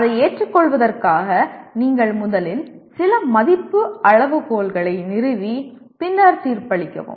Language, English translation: Tamil, That is for accepting it you first establish some value criteria and then finally judge